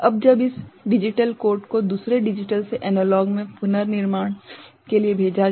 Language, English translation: Hindi, Now, when this particular digital codes are sent for reconstruction from say another digital to analog